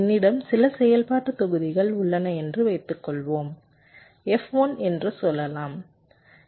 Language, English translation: Tamil, suppose i have a few functional blocks, lets say f one